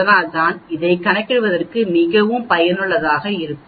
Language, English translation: Tamil, So it is very useful for calculating this